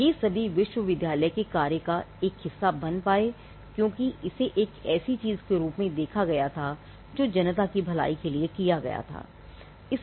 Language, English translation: Hindi, Now, all these became a part of the university function because, it was seen as a something that was done for the public good